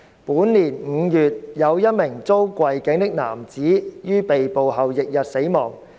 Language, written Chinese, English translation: Cantonese, 本年5月，有一名遭跪頸的男子於被捕後翌日死亡。, In May this year a man who had been knelt on the neck died a day after his arrest